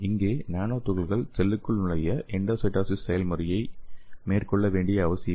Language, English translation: Tamil, So here the nanoparticles do not necessary undertake the endocytosis process to enter a cell